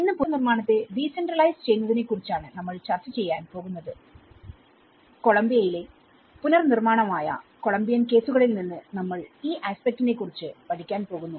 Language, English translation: Malayalam, Today, we are going to discuss about decentralizing reconstruction and we are going to learn about this aspect from the cases of Colombian case which is reconstruction in Colombia